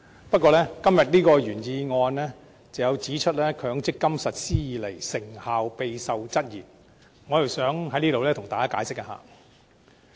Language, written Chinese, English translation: Cantonese, 不過，就今天的原議案中有關自強積金計劃實施以來，成效備受質疑這一點，我想在這裏向大家稍作解釋。, However I would like to do some explaining on the statement in the original motion namely the point that since the implementation of the MPF scheme in 2000 its effectiveness has been questioned by society